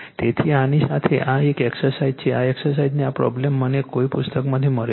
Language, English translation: Gujarati, So, with this , this exercise is one exercise given this problem I have got from some book